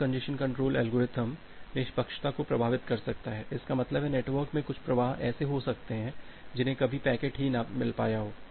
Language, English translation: Hindi, Now bad congestion control algorithm may affect fairness; that means, some flows in the network may get starved